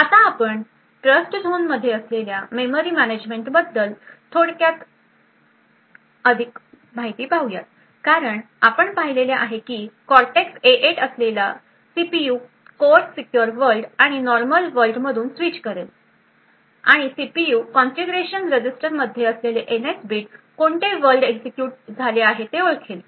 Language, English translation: Marathi, Now so we look at a little more detail about the memory management present with Trustzone as we have seen that the CPU core that is a Cortex A8 will be switching from the secure world and the normal world and the NS bit present in the CPU configuration register would identify which world is executed